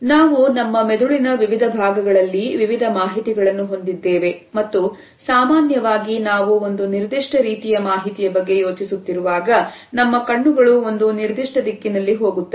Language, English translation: Kannada, We hold different pieces of information in different parts of our brain and usually when we are thinking about a particular type of information our eyes will go in one particular direction